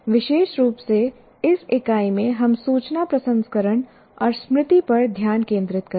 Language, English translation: Hindi, Particularly in this unit, we will be focusing on information processing and memory